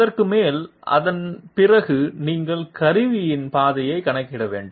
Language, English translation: Tamil, Over and above that, after that you have to calculate you know the path of the tool